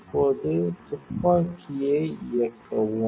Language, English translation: Tamil, Now, switch on the gun